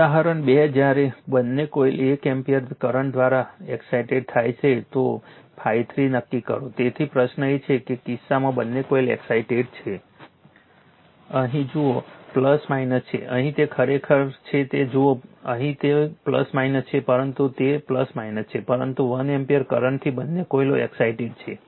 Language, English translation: Gujarati, Example 2 when both the coils are excited by 1 ampere current; determine phi 3 right so, question is that the both the coils are excited in that case, look here is plus minus here it is actually if you look into that here it is plus minus, but here it is plus minus, but 1 ampere current both the coils are excited